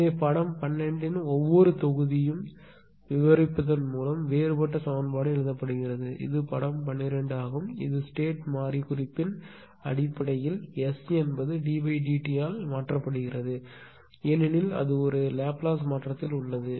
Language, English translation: Tamil, So, differential equation are written by your describing each individual block of figure 12, this is figure 12, this is figure 12 right ah in terms of state variable note that S is replaced by d dt because it is in a Laplace transform